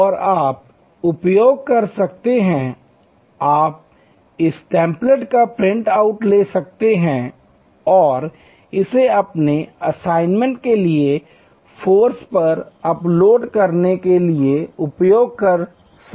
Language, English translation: Hindi, And you can use, you can take a print out of this template and use it for your assignment for uploading on to the forum